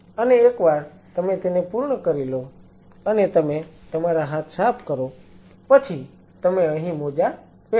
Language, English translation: Gujarati, And once you are done and your wipe your hand you put on the gloves here